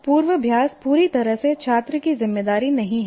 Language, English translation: Hindi, So that is not completely the responsibility of the student